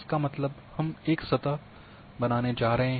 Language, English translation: Hindi, That means, we are going to create a surface